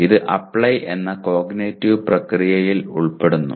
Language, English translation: Malayalam, It belongs to the cognitive process Apply